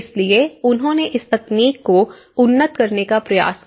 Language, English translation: Hindi, So, what they did was they try to upgrade this technology